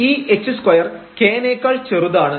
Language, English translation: Malayalam, This h square is smaller than the k